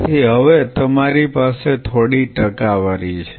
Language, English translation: Gujarati, So, now, you have some percentage